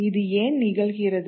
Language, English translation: Tamil, And why does this happen